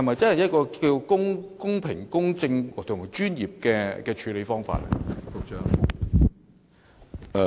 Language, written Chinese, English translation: Cantonese, 這是否公平、公正及專業的處理方法？, Was this a fair impartial and professional way of handling this issue?